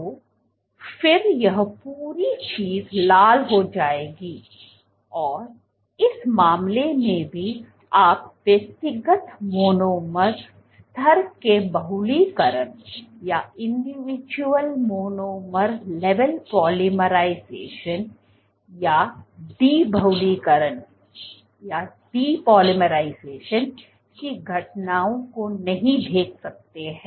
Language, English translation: Hindi, So, then this entire thing will turn red in this case also you cannot see individual monomer level polymerization or de polymerization events